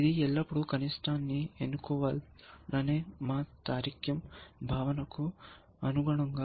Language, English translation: Telugu, You can see that, so also consistent with our logical notion of, and always choose is the minimum